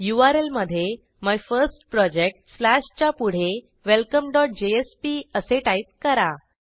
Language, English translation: Marathi, In the url after MyFirstProject slashtype welcome.jsp We see the output Welcome